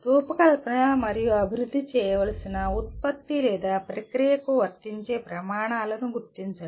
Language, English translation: Telugu, Identify the standards that are applicable to the product or process that needs to be designed and developed